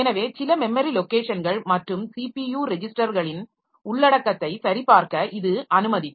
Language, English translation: Tamil, So it can it will allow you allow me to check the content of some of the memory locations and the CPU registers